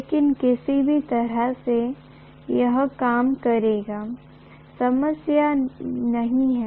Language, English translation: Hindi, But either way, it will work, that’s not a problem